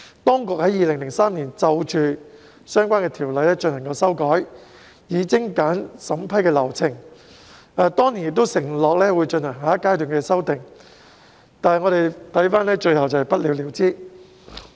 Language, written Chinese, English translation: Cantonese, 當局在2003年修訂相關的條例，以精簡審批流程，並承諾會進行下一階段的修訂，但最後卻不了了之。, In 2003 the authorities amended the relevant ordinances to streamline the approval process and undertook to carry out another phase of amendments but the idea fizzled out in the end